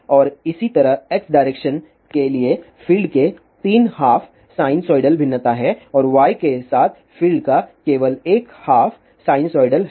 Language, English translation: Hindi, Similarly, for this in the x direction, there are 2 half sinusoidal variations of the field and in the y direction there is no variation of the field